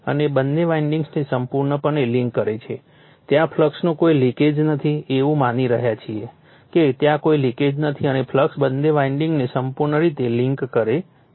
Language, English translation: Gujarati, And links fully both the windings there is no leakage of the flux, you are assuming there is no leakage and the flux links both the windings fully